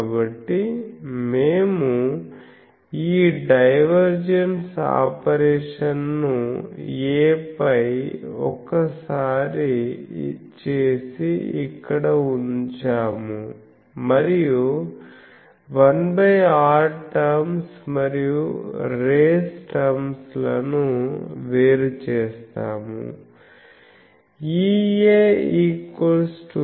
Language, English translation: Telugu, So, we perform this operation of divergence once on A and put it here and we separate the 1 by r terms and race terms